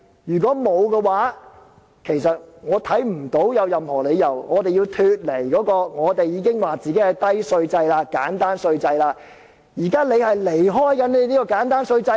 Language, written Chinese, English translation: Cantonese, 如果不是的話，我看不到有任何理由，我們要脫離我們所謂的簡單低稅制，現在是政府要離開這個簡單低稅制。, If not I cannot see why we have to turn away from the so - called low and simple tax regime . It is now the Government who is departing from this low and simple tax regime